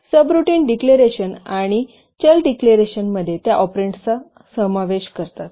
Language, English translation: Marathi, So subroutine declarations and variable declarations they comprise the operands